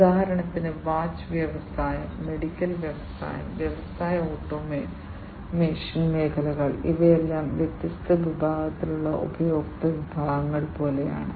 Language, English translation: Malayalam, For example, the watch industry, the medical industry, and the industrial automation sectors; these are all like different segmented customer segments